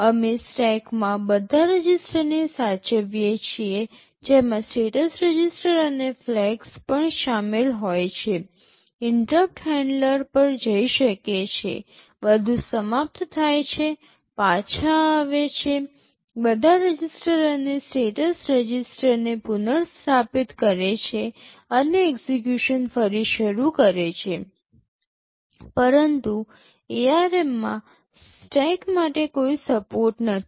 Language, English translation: Gujarati, We save all the registers in the stack that can include also the status registers and the flags, go to the interrupt handler, finish everything, come back, restore all registers and status register and resume execution, but in ARM there is no support for stack, there is no instruction to push or pop instructions in stack or from stack